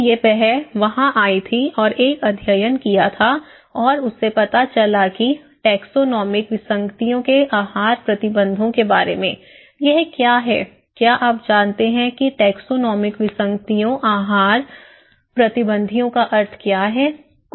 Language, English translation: Hindi, So, then she came there was a study and she came to know about the Taxonomic anomalies dietary restrictions, what is that, do you know what is the meaning of taxonomic anomalies dietary restrictions